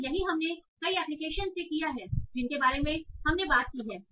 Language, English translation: Hindi, And that's what we have done for many, most of the applications that we have talked about